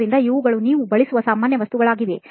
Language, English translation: Kannada, So these are like the most common materials that you use